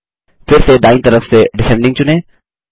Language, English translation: Hindi, Again, from the right side, select Descending